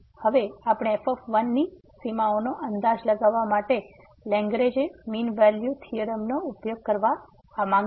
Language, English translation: Gujarati, Now, we want to use the Lagrange mean value theorem to estimate the bounds on